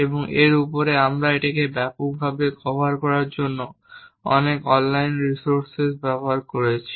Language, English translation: Bengali, And over that we use many online resources cover it in a extensive way